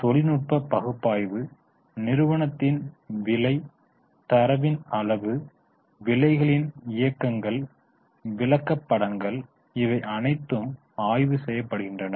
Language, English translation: Tamil, In technical analysis, the price data of the company, the volume, the movements of prices, the charts, all these things are studied